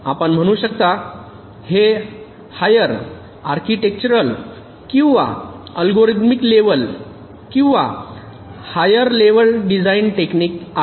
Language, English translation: Marathi, ok, these are all architectural, or algorithmic level, you can say, or higher level design techniques